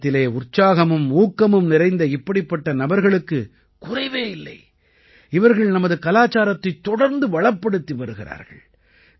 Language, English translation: Tamil, There is no dearth of such people full of zeal and enthusiasm in India, who are continuously enriching our culture